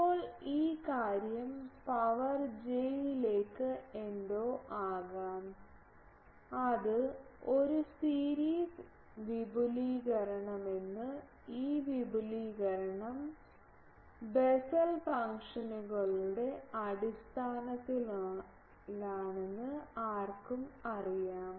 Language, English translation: Malayalam, Now, this thing e to the power j something cos that can be, that has a series expansion, anyone knows that this expansion is in terms of Bessel functions